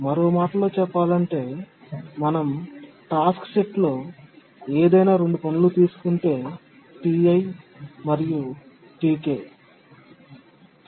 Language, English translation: Telugu, Or in other words, if we take any two tasks in the task set, T